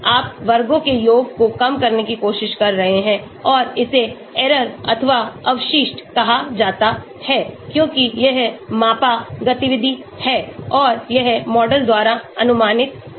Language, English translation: Hindi, you are trying to minimize the sum of squares and this is called error or residual because this is measured activity and this is as predicted by the model